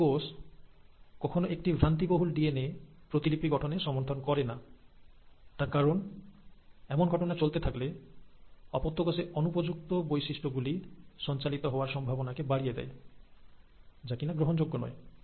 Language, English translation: Bengali, A cell cannot afford to allow a faulty piece of DNA to undergo DNA replication because then, it will enhance the chances of passing on the non favourable characters to the daughter cells, which is not accepted